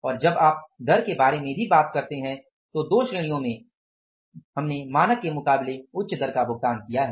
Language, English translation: Hindi, And when you talk about the rate also, in the two categories we paid actually we paid higher rate as against the standard